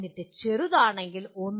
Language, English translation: Malayalam, And then if it is slight, 1